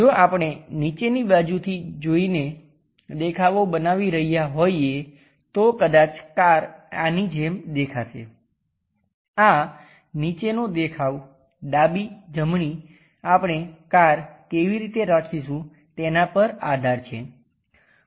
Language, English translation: Gujarati, If we are constructing views by looking from bottom side perhaps the car might looks like this perhaps this bottom left right depends on how we are going to keep the car